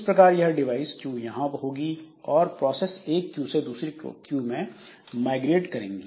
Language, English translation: Hindi, So, this device cues will be there and processes they migrate among various cues